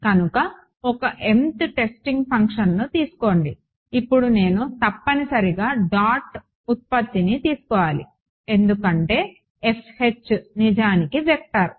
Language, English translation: Telugu, So, take some mth testing function, now I must take a dot product because this F H is actually a vector right